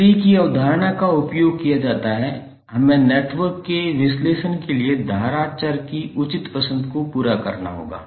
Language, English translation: Hindi, The concept of tree is used were we have to carry out the proper choice of current variable for the analysis of the network